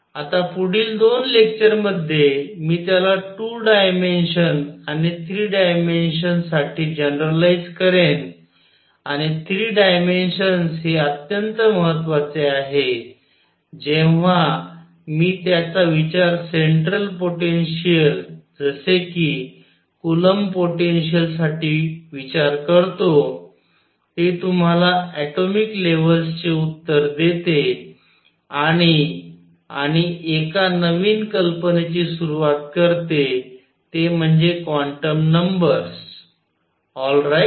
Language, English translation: Marathi, Now, in the next two lectures, I will generalize it to two dimensions and three dimensions and three dimensions very important when I consider it for a central potential like coulomb potential because it gives you the answer for atomic levels, and it introduces an idea called quantum numbers alright